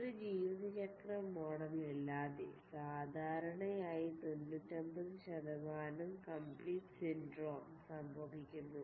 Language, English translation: Malayalam, Without a lifecycle model, usually a problem that is known as the 99% complete syndrome occurs